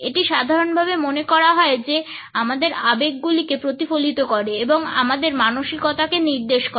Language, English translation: Bengali, It is generally believed that they reflect our emotions and are an indication of our mind sets